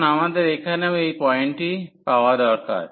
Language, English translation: Bengali, So, now, we also need to get this point here